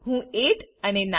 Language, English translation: Gujarati, I will enter 8 and 9